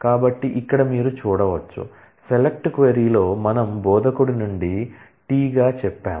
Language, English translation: Telugu, So, here you can see that, in the select query we have said from instructor as T